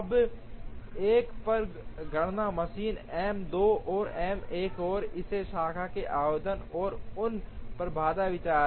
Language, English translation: Hindi, Now, the computations on a machines M 2 and M 1 and application of this branch and bound idea on them